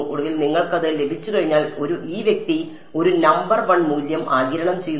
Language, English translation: Malayalam, Once you get it finally, this guy absorbs a number one value